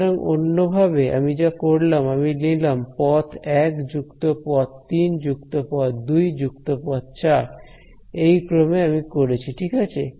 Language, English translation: Bengali, So, in other words what I did was I took path 1 plus path 3 plus path 2 plus path 4 that is the order in which I did it ok